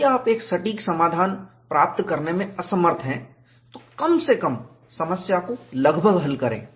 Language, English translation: Hindi, We will attempt for an exact solution; if you are unable to get an exact solution, at least solve the problem approximately